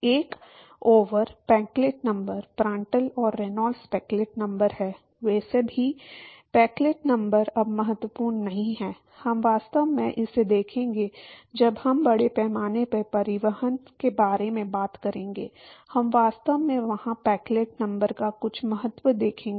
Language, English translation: Hindi, One over Peclet number, Prandtl and Reynolds is Peclet number, anyway Peclet number is not important now, we will actually look at it when we talk about mass transport, we will actually see some importance of Peclet number there